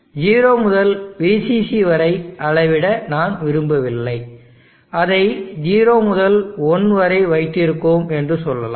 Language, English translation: Tamil, Then I would like to now scale this way form size that it is from 0 to 1, I do not want from 0 to VCC, let say we kept it from 0 to 1